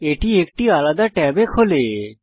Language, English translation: Bengali, It opens in a separate tab